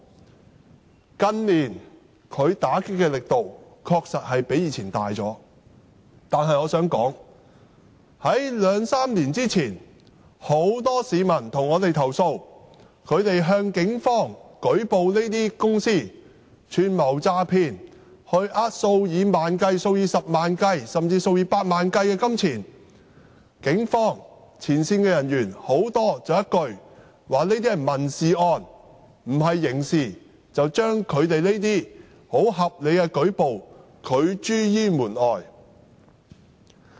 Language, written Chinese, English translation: Cantonese, 警方近年在這方面打擊的力度確實較以往大，但我想指出，在兩三年前，很多市民曾向我們投訴，指他們向警方舉報這些公司串謀詐騙，欺騙數以萬元計、數以十萬元計，甚至數以百萬元計的金錢時，警方很多前線人員說一句："這些是民事案，不是刑事案"，便把他們這些合理的舉報拒諸於門外。, It is true that the Police have dialled up the vigour recently in combating these activities than it was the case in the past . However I would like to point out two to three years ago we received complaints from the public that when they reported these companies for involvement in conspiracy to defraud money ranging from tens to hundreds of thousands and even millions of dollars frontline officers of the Police would tell them These are civil cases not criminal cases and their reasonable reports would be rejected